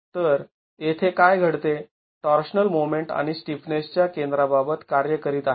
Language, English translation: Marathi, So, in this particular case, the torsional moment is acting about the center of stiffness